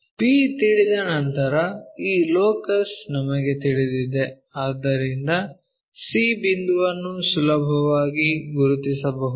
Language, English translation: Kannada, Once b is known we know this locus, so c point we can easily note it down